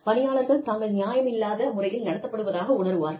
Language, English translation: Tamil, We employees feel that, we have been, we may be treated unfairly